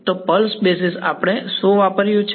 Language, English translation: Gujarati, So, pulse basis is what we used